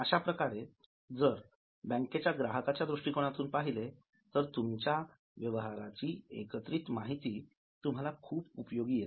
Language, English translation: Marathi, In this case, if as a customer of a bank you get a summary of your transactions, it becomes useful to you